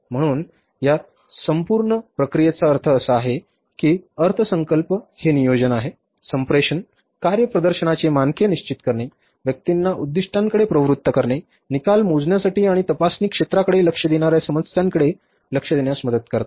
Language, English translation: Marathi, So, in this entire process means finally I would say that budgets are aids in planning, communicating, setting standards of performance, motivating personnel's towards goals, measuring results and directing attention to the problem areas that need investigation